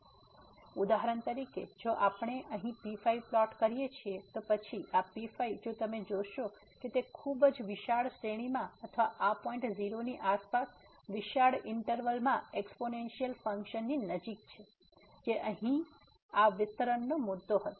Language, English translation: Gujarati, So, for example, if we plot here then this if you see it is pretty close to the exponential function in a very wide range of or in a wide interval around this point 0 which was the point of this expansion here